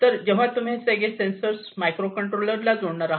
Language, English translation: Marathi, So, this is how you connect the different sensors you connect to the microcontrollers